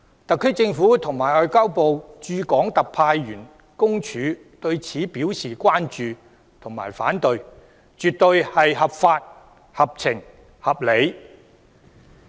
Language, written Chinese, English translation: Cantonese, 特區政府和中華人民共和國外交部駐香港特別行政區特派員公署對此表示關注和反對，絕對是合法、合情、合理。, The concerns and opposition raised by the HKSAR Government and the Office of the Commissioner of the Ministry of Foreign Affairs of the Peoples Republic of China in the HKSAR are absolutely lawful sensible and reasonable